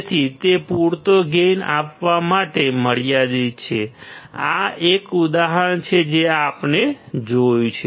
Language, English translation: Gujarati, So, it is limited to provide sufficient gain; this is an example which we have seen